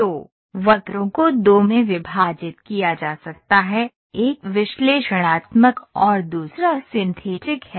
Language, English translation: Hindi, So, curves can be divided into two, one is analytical and another one is synthetic